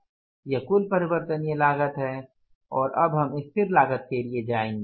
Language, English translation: Hindi, This is the total variable cost and now we will go for the less fixed cost